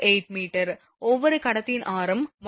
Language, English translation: Tamil, 8 meter, radius of each conductor is 1